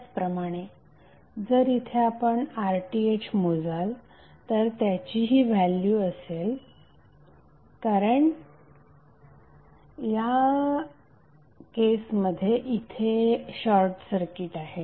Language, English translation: Marathi, Similarly if you measure RTh here it will be this value because in that case this would be short circuited